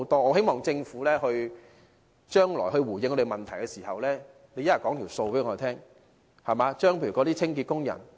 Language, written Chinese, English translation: Cantonese, 我希望政府將來回應我們的問題時，能告知我們有關的帳目。, I hope that when the Government responds to our question in the future it can provide us with some statistics